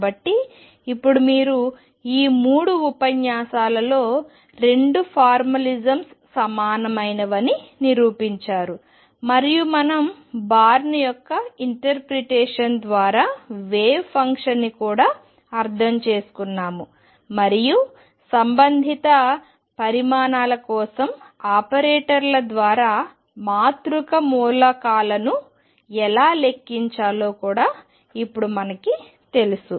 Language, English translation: Telugu, So now, you shown in these three lectures that the 2 formalisms are equivalent and we have also interpreted the wave function through bonds interpretation; and we have also now know how to calculate the matrix elements through operators for the corresponding quantities